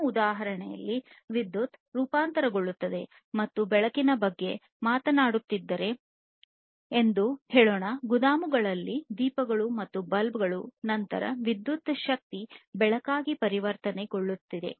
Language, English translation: Kannada, So, in our example, basically electricity is transformed let us say that if we are talking about you know lighting lamps and bulbs in the warehouses, then electricity is getting transformed into light energy, right